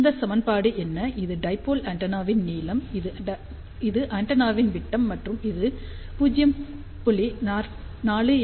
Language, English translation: Tamil, So, what is this equation, this is length of the dipole antenna, this is diameter of the antenna and this is equivalent to 0